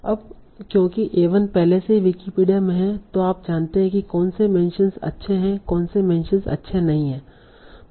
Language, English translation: Hindi, Now, because A1 is already in Wikipedia, you know what mentions are good, what mentions are not good